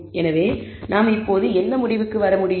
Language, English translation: Tamil, So, what conclusion can we draw now